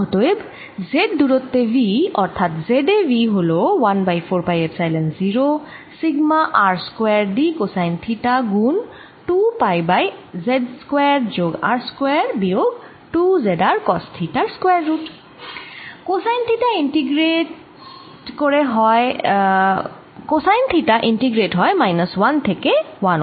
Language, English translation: Bengali, sigma r square d cosine of theta times two pi divided by a square root of z square plus r square minus two z r cos of theta and cosine of theta integrate from minus one to one